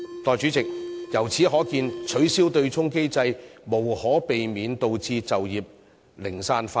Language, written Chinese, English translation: Cantonese, 代理主席，由此可見，取消對沖機制將無可避免導致就業零散化。, Deputy President it is thus evident that abolishing the offsetting mechanism will inevitably result in fragmentation of jobs